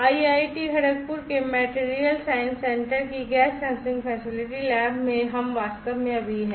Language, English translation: Hindi, We are actually right now in the gas sensing facility lab of the Material Science Centre of IIT Kharagpur